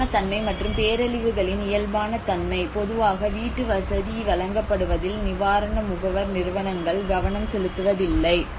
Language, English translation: Tamil, Normality and a normality of disasters: relief agencies normally they rarely pay attention to the way in which housing is delivered